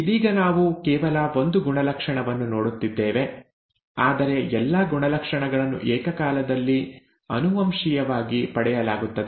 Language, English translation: Kannada, Right now we are looking at only one character, but all characters are being inherited simultaneously